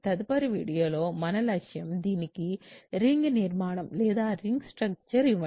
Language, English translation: Telugu, So, the goal for us next in the next video is to give a ring structure to this